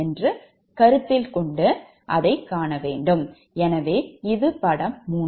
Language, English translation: Tamil, so this is the figure three